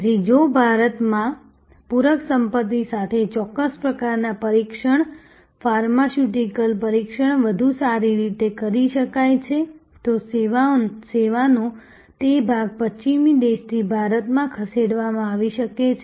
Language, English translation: Gujarati, So, if certain types of testing pharmaceutical testing could be done better with complimentary assets in India, then that part of the service moved from may be a western country to India